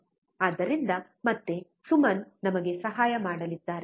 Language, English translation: Kannada, So, again Suman is going to help us